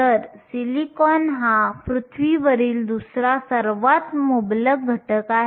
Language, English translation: Marathi, So, silicon is the second most abundant element on earth